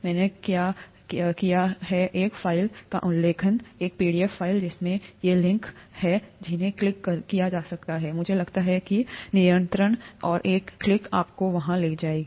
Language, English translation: Hindi, I did mention a file, a pdf file that would have these links that can be clicked, I think control and a click would take you there